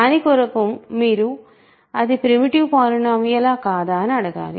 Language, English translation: Telugu, For that you have to ask if it is a primitive polynomial